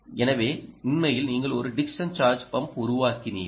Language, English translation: Tamil, you have actually built a dickson charge pump